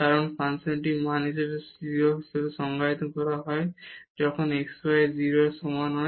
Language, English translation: Bengali, Because the function is defined as the value is 0 when x y not equal to 0